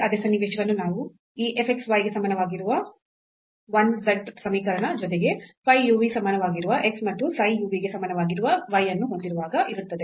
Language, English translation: Kannada, And, the same scenario we have when we have this equation 1 z is equal to f x y with equations x is equal to phi u v and y is equal to psi u v